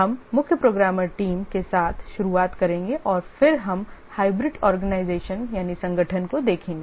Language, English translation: Hindi, We'll start with the chief programmer team and then we'll look at the hybrid organization